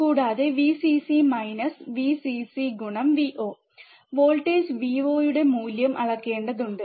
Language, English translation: Malayalam, And plus, Vcc minus Vcc Vo, we have to value measure the value of voltage Vo